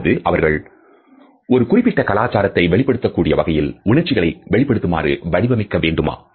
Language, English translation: Tamil, Or should they be tailored to express emotions in such a manner which are a specific to a particular culture